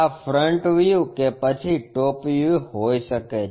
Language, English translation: Gujarati, This might be the front view top view